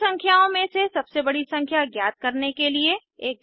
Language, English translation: Hindi, * Write a java program to find the biggest number among the three numbers